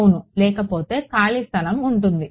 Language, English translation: Telugu, Yeah otherwise there is an empty space